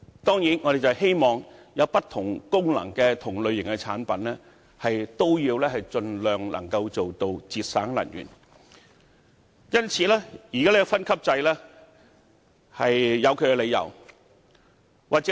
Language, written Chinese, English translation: Cantonese, 當然，我們希望具備不同功能的同類型產品，可以盡量做到節省能源，所以現在的分級制度是有其理由的。, Certainly we hope that products of the same type but with different functions can achieve as much energy savings as possible and so there is reason for the current grading system to exist